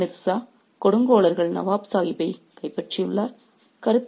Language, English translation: Tamil, So, Mirthus said, The tyrants have captured Nawab Sahib